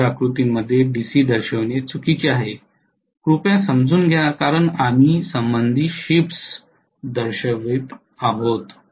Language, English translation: Marathi, It is wrong to show a DC in phasor diagram please understand because we are showing relative shifts, right